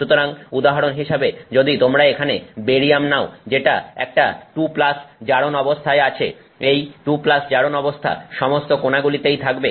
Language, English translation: Bengali, So, for example, if you take barium here which is a 2 plus oxidation state, this 2 plus oxidation state, it sits at all the corners